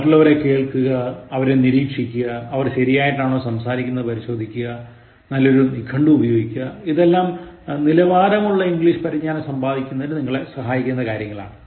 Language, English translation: Malayalam, Listen to others, observe others, check whether they are speaking correctly or wrongly, use a good dictionary and that will ensure that at least you have polished English Skills to work with